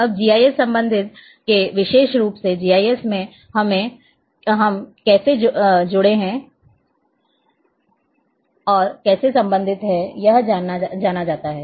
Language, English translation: Hindi, Now, from GIS especially, from GIS prospective particularly about how in GIS we are linked and related